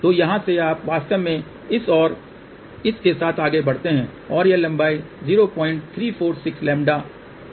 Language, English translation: Hindi, So, from here you actually move along this and this and this and this length comes out to be 0